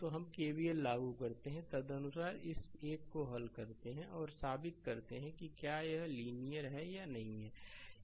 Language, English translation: Hindi, So, we apply KVL and accordingly you solve this one right and prove that whether it a circuit is a linear or not